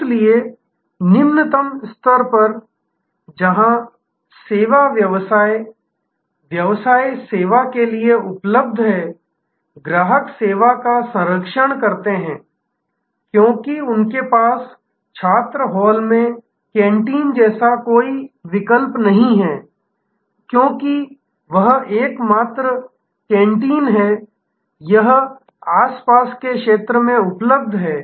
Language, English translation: Hindi, So, at the lowest level, where service business is at just available for service, customers patronize the service, because they have no alternative like the canteen at a student hall; because that is the only canteen; that is available in the vicinity